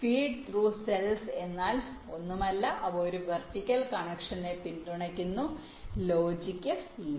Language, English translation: Malayalam, feed through cells are nothing, just they support a vertical connection